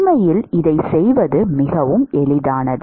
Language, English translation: Tamil, In fact, it is very very easy to do this